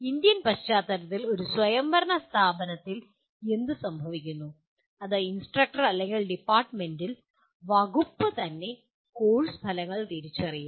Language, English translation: Malayalam, And in Indian context what happens in an autonomous institution, it is the instructor or at the department, the department itself will identify the course outcomes